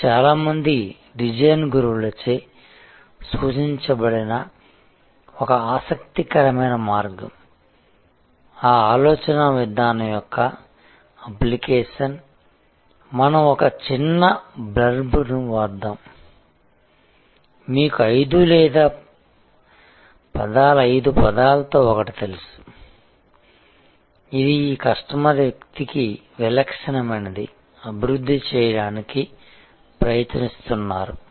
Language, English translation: Telugu, This is an interesting way of also suggested by many design gurus is that design way of thinking application, let us just write a small blurb, you know one or two sentence 3 of 5 words, which will be typical for this customer persona that you are trying to develop